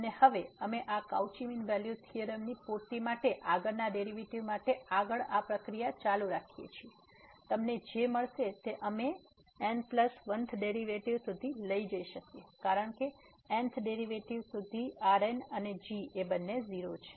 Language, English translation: Gujarati, And now we can continue this process further for the next derivative supplying this Cauchy's mean value theorem further what you will get we can go up to the plus 1th derivative because, up to n th derivative and both are 0